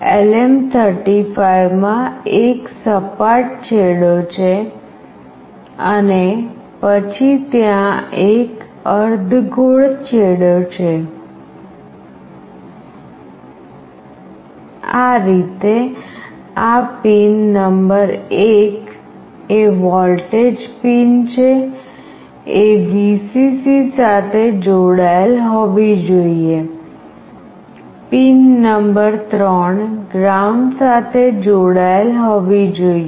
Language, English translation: Gujarati, In LM35 there is a flat end and then there is a half round end, this way this pin number 1 is the voltage pin, this one should be connected to Vcc, pin number 3 must be connected to ground